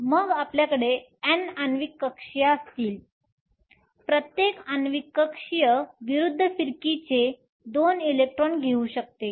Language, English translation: Marathi, Then you will have N molecular orbitalÕs each molecular orbital can take 2 electrons of opposite spin